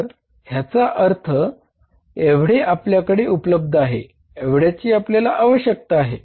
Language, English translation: Marathi, So it means this much is available, this much is required, this much is available